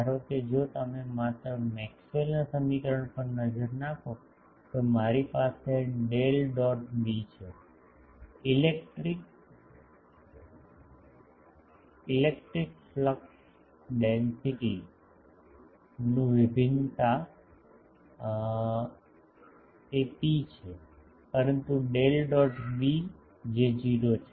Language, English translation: Gujarati, Suppose if you look at just Maxwell’s equation I have Del dot D, divergence of the electric flux density that is rho, but Del dot B that is 0